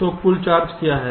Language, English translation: Hindi, so what is the total charge